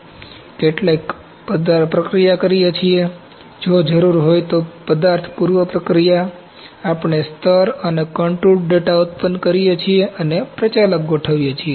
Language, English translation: Gujarati, Then we do some material processing if required material pre preprocessing I’ll call ok, we generate layer and contoured data and set up the operators